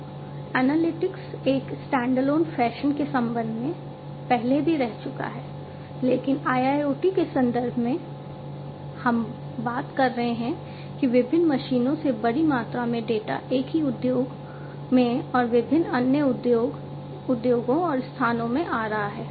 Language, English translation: Hindi, Now, with respect to this analytics again, analytics in a a standalone fashion have been there, but in the context of a IIoT we are talking about a large volume of data coming from different machines in the same industry and different other industries and different locations and so on